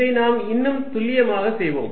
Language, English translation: Tamil, Let us make it more precise